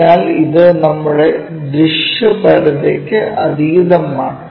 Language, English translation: Malayalam, So, it is beyond our visibility